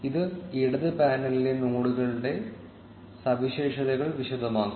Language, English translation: Malayalam, This will elaborate the properties of the nodes in the left panel